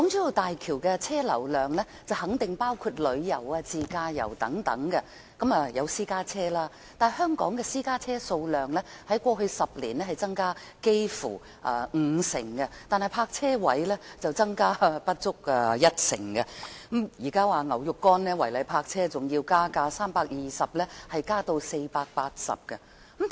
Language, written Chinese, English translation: Cantonese, 大橋的車流量肯定包括用作自駕遊的私家車，但香港的私家車數量在過去10年增加接近五成，但泊車位卻增加不足一成，現時違例泊車罰款更由320元上調至480元。, The vehicular flow of HZMB should include private cars used for self - drive tours . Private cars in Hong Kong have increased by almost 50 % in the past 10 years but the number of parking spaces has only increased by less than 10 % and the penalty charge for illegal parking will now be increased from 320 to 480